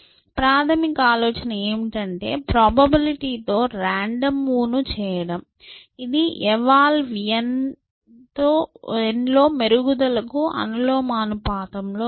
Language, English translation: Telugu, The basic idea is make a random move with a probability, which is proportional to improvement in eval n